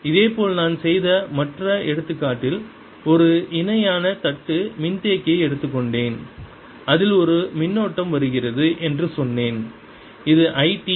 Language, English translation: Tamil, similarly, in the other example, what i did, i took a parallel plate capacitor and i said there is a current which is coming in which is i t